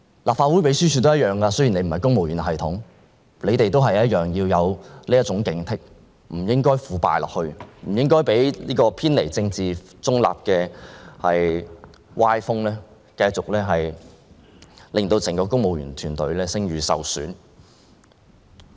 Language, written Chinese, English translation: Cantonese, 立法會秘書處人員的情況也一樣，雖然他們不屬公務員系統，但同樣要有警惕之心，不應腐敗下去，不應讓偏離政治中立原則的歪風，繼續令整個公務員團隊的聲譽受損。, The same applies to the staff of the Legislative Council Secretariat . Though not part of the civil service they should be equally vigilant and prevent themselves from becoming corrupt . There should be an end to the undesirable trend of deviating from the political neutrality principle which has done damage to the entire civil service